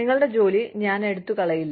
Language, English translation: Malayalam, I will not take your job away